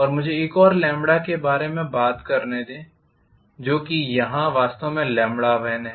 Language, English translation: Hindi, And let me talk about another lambda value which is actually somewhere here which is actually lambda 1